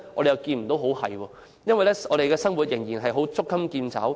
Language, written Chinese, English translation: Cantonese, 似乎不能，因為我們的生活仍然捉襟見肘。, It does not seem so since we can barely make ends meet